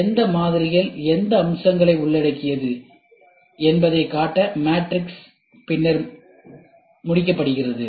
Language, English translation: Tamil, The matrix is then completed to show which models incorporate which features